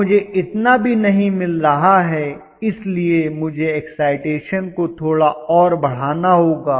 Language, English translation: Hindi, I am not getting even that much, so I have to increase the excitation little further